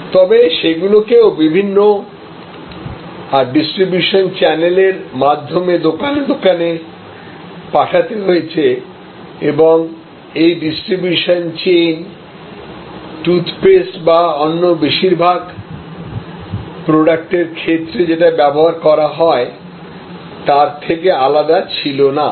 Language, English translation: Bengali, But, then those had to be sent to stores, retail stores through various stages of distribution and in many ways that distribution chain was no different from the distribution chain for toothpaste or so for most of the products